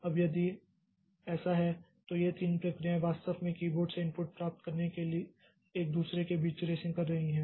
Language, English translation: Hindi, Now if this if these three processes they are actually racing between each other to get the input from the keyboard